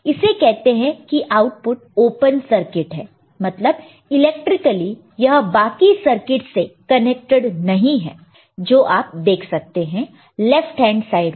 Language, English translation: Hindi, So, this is in a sense the output is open circuit this is electrically not connected to the rest of the circuit which is there in the left hand side